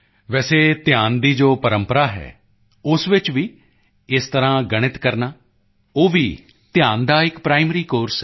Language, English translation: Punjabi, Even in the tradition of dhyan, doing mathematics in this way is also a primary course of meditation